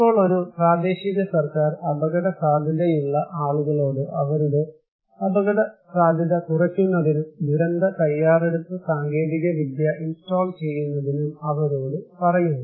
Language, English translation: Malayalam, Now, this process that a local government is telling something to the people at risk to reduce their risk and to install and adopt some disaster preparedness technology